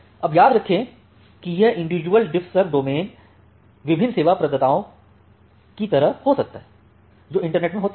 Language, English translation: Hindi, Now remember this individual DiffServ domains can be like different service providers, which are there in the internet